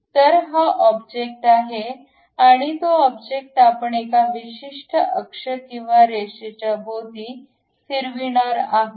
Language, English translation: Marathi, So, this is the object and that object we are going to revolve around certain axis or line